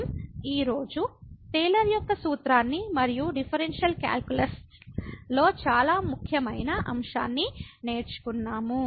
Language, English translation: Telugu, So, what we have learnt today is the Taylor’s formula and very important topic in the differential calculus